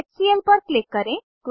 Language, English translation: Hindi, Click on HCl